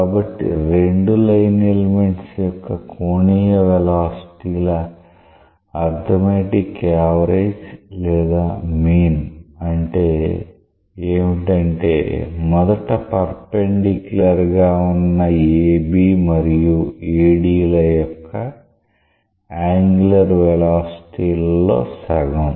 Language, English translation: Telugu, So, arithmetic mean of the angular velocities of the two line element; that means, half of the angular velocities of AB and AD which were originally perpendicular to each other